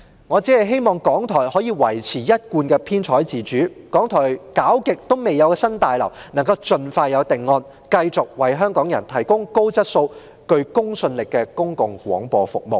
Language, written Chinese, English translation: Cantonese, 我希望港台可以維持一貫的編採自主，一直未有着落的新大樓可以盡快有定案，好使港台能繼續為香港人提供高質素及具公信力的公共廣播服務。, I hope RTHK can maintain its editorial autonomy as usual and the project for the new building which has never been confirmed will be finalized expeditiously so that RTHK can continue to provide Hongkongers with a public broadcasting service of high quality and with credibility